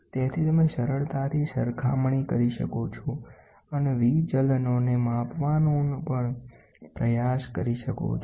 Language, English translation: Gujarati, So, you can you easily do comparison and try to also measure the deviations